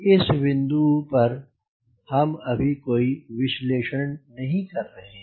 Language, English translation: Hindi, we are not doing analysis at this point